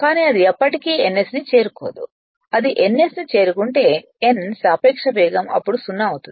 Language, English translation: Telugu, But it will never catch ns, if it catches ns then n minu[s] relative speed will become 0 then right